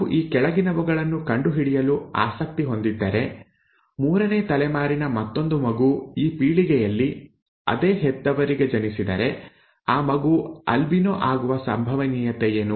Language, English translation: Kannada, If we are interested in finding the following, if another child in the third generation, in this generation is born to the same parents, what is the probability of that child being an albino, okay